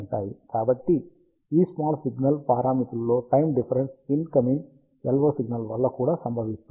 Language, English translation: Telugu, So, the time variation in these small signal parameters is also caused by the incoming LO signal